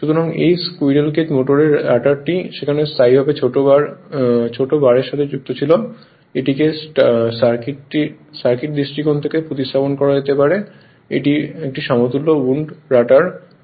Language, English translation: Bengali, So, the rotor of this squirrel cage motor had permanently shorted bars there so this can be replaced from a your what you call circuit point of view by an equivalent wound rotor